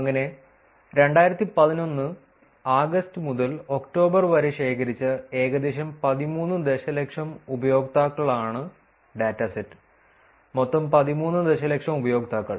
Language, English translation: Malayalam, So, the dataset is about total of about 13 million users collected ran from August to October 2011, the total of 13 million users